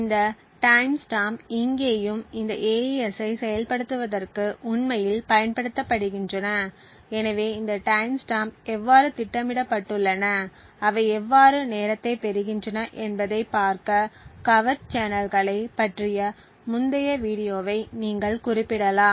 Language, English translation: Tamil, These times stamps here as well as here are used to actually time the execution of this AES, so you could refer to the previous video about the covert channels to look at how these timestamps are programmed and how they obtain the time